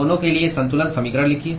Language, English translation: Hindi, Write balance equation for both